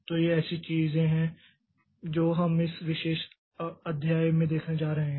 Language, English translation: Hindi, So these are the things that we are going to see in this particular chapter